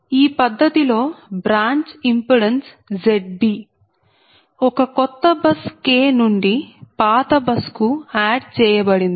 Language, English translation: Telugu, that branch impedance z b, z b is added from a new bus, k to the old bus j